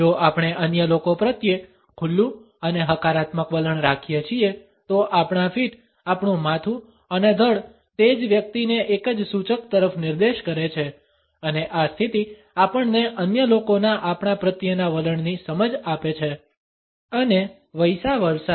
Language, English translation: Gujarati, If we hold and open and positive attitude towards other people, our feet our head and torso points to the same person in a single clue and this position gives us an understanding of the attitude of other people towards us and vice versa